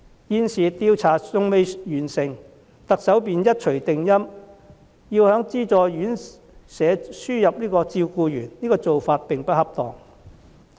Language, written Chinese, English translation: Cantonese, 現時有關調查尚未完成，特首便一錘定音，要在資助院舍輸入照顧員，做法並不恰當。, But before the completion of the survey the Chief Executive has made a final decision to import some carers to work in subsidized RCHEs which is not an appropriate move